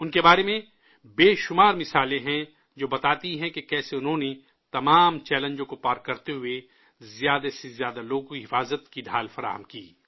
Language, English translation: Urdu, There are innumerable instances about them that convey how they crossed all hurdles and provided the security shield to the maximum number of people